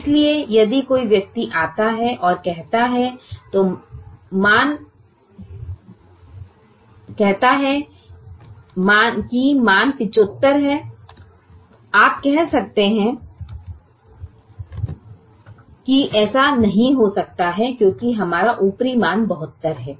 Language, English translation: Hindi, so if somebody comes and says my, the value is seventy five, you can say that it cannot be so because our upper estimate is seventy two